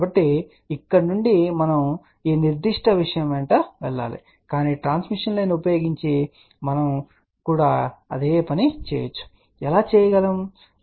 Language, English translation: Telugu, So, from here we have to move along this particular thing , but we can also do the same thing using it transmission line let us see how we can do that